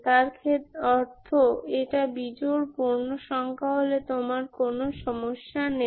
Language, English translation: Bengali, Odd integer, odd integer case you don't have problems